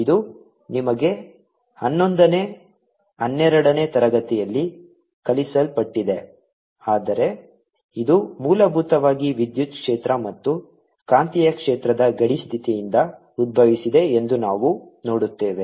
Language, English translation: Kannada, this you been taught in you eleventh, twelfth, but now we see that this are arries, basically the boundary condition on electric field and magnetic field